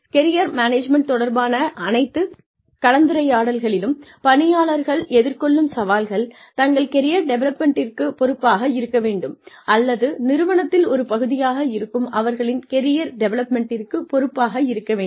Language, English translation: Tamil, Some of the challenges, that any discussion on Career Management faces is, should employees be responsible, for their own career development, or should the organization, that they are a part of, be responsible for their career development